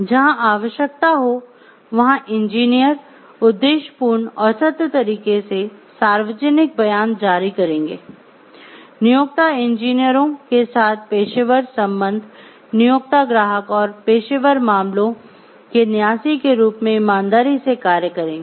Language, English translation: Hindi, Where necessary engineers shall issue public statements in an objective and truthful manner, professional relationship with the employer engineers shall act faithfully as trustee of the employer client and professional matters